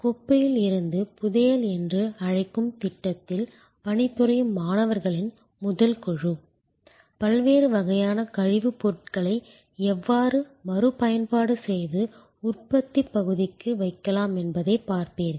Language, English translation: Tamil, This first group of students who were working on the so call project of treasure from trash, you will looking at how waste material of different types can be reused and put to productive area